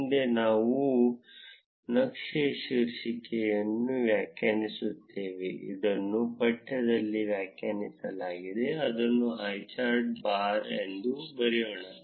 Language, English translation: Kannada, Next, we define the title of the chart, this is defined in the text, let us write name it as highchart bar